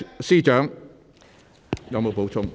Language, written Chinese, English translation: Cantonese, 司長，你有否補充？, Chief Secretary do you have anything to add?